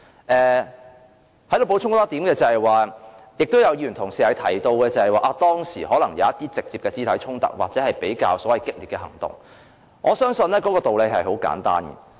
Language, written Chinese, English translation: Cantonese, 我想在此補充一點：有議員提及當時可能出現一些直接的肢體衝突或所謂比較激烈的行動，我相信道理十分簡單。, I wish to add one point here . Some Members mentioned that there were some physical conflicts or so - called radical actions during the protests . I think the reasons behind are also very simple